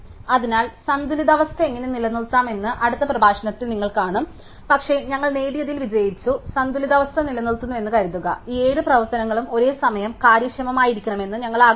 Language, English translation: Malayalam, So, you will see in the next lecture how to maintain the balance but, assuming that we maintain in the balance we have succeeded in what we have achieve, what it wanted to achieve which is we wanted all these 7 operations to be simultaneously efficient and there all now log n time